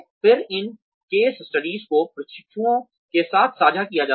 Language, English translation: Hindi, Then, these case studies are shared with the trainees